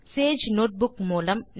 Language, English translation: Tamil, So what is Sage Notebook